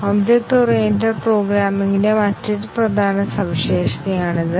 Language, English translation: Malayalam, This is another prominent feature of object oriented programming